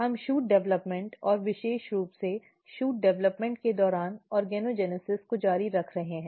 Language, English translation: Hindi, We are continuing Shoot Development and particularly organogenesis during shoot development